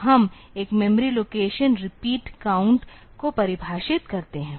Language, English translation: Hindi, So, we define a one memory location repeat count